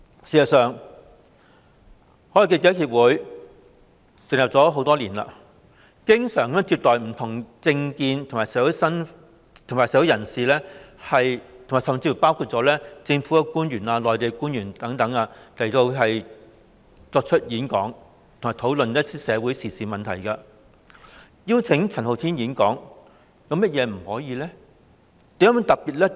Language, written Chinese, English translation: Cantonese, 事實上，已成立多年的外國記者會經常接待不同政見及身份的社會人士，包括香港及內地官員等，邀請他們演講，以及討論社會時事問題，那麼邀請陳浩天演講又有何不可？, In fact it is common for FCC which has been established for many years to invite people with different political views and of different status including public officers of Hong Kong and China to give talks and discuss social affairs; why cant it invite Andy CHAN to give a talk?